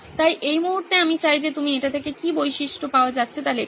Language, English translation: Bengali, So at this point I would like you to write down what are features that are coming out of this